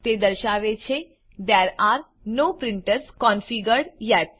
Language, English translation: Gujarati, It says There are no printers configured yet